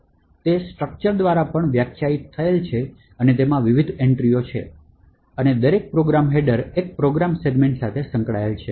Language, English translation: Gujarati, So, it is also defined by a structure and has various entries and each program header is associated with one program segment